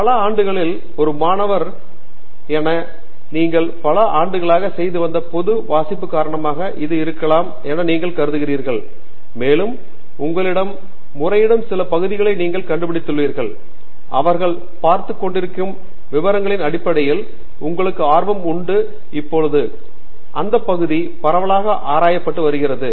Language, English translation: Tamil, I mean this could be due to a lot of general reading you have done in over the years as a student at various levels and you have found some particular area that appeals to you, that interests you in terms of kinds of details that they are looking at, the manner in which the area is being explored and so on